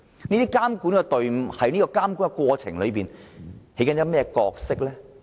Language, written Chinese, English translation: Cantonese, 這組監管隊伍在監管過程中扮演甚麼角色？, What is the role played by such supervisory teams during the monitoring process?